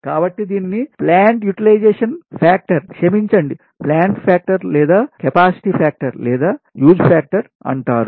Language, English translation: Telugu, so this is called plant utilization, sorry, plant factor or capacity factor or use factor